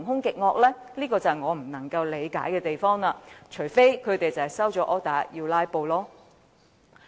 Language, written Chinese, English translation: Cantonese, 這是我不能理解的地方，除非他們收了 order 要"拉布"。, I found this incomprehensible unless they have been ordered to filibuster